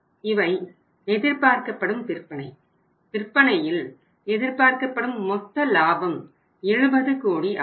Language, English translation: Tamil, These are the expected sales and the estimated, estimated gross profit is about 70 crores, is 70 crores